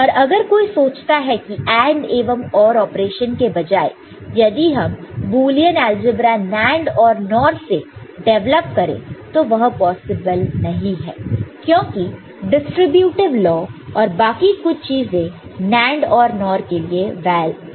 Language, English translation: Hindi, And if you if somebody things that instead of AND and OR operation if we can develop a Boolean algebra using NAND and NOR it is not possible because the distributive law and some of these basic things postulates are not valid using NAND and NOR